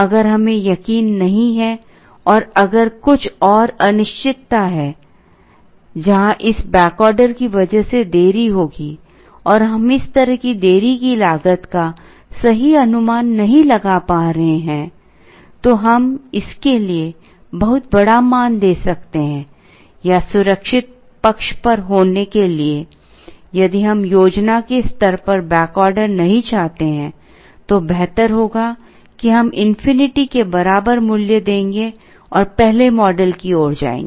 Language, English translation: Hindi, If we are not sure and if there are some more uncertainty, where there would be a delay because of this back order, and we are not able to estimate the cost of such delay accurately, we can either give a very large value for this, or to be on the safe side if we do not want to have back order at the planning stage itself, we would rather give value equal to infinity and go towards the first model